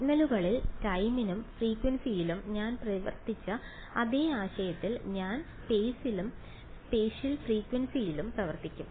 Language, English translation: Malayalam, Exactly the same concept in signals I worked in time and frequency now I will work in space and spatial frequency